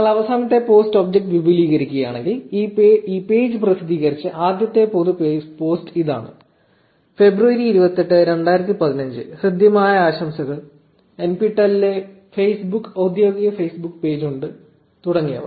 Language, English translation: Malayalam, So, if you expand the last post object, this was the first ever public post made by this page which was on February 28th 2015, saying warm greetings NPTEL has an official Facebook page etcetera